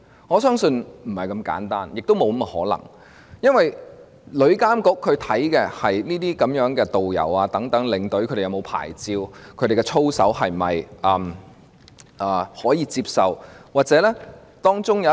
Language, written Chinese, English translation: Cantonese, 我相信不是這麼簡單的，也沒有這種可能性，因為旅監局所監管的，是導遊和領隊是否領有牌照、他們的操守是否能夠接受。, I trust it is not so simple and may not be possible . This is because TIA regulates the licensing of tourist guides and tour escorts and the suitability of their conducts